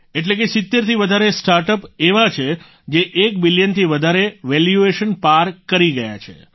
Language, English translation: Gujarati, That is, there are more than 70 startups that have crossed the valuation of more than 1 billion